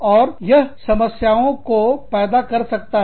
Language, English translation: Hindi, And, that can create problems